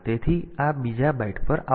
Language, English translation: Gujarati, So, that will come to this second byte